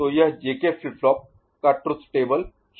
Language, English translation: Hindi, So, this is this JK flip flop truth table itself is it ok